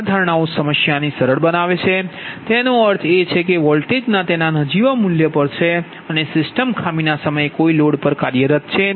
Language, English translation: Gujarati, this assumptions simplify the problem and it means that the voltage e, that at its nominal value and the system is operating at no load at the time of fault